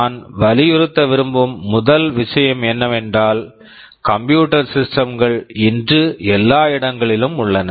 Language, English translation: Tamil, The first thing I want to emphasize is that computer systems are everywhere today